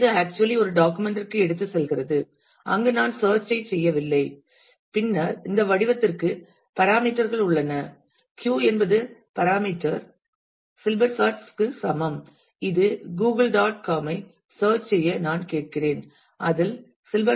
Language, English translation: Tamil, So, which actually takes it to a document where I tell the search to be performed and then there are parameter to this form the parameter is q is equal to silberschatz which is equivalent to same that I am asking Google [dot] com to search for contents which have silberschatz in it